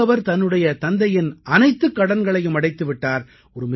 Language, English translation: Tamil, He now has repaid all the debts of his father